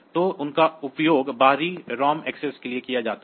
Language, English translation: Hindi, So, they are used for this external ROM access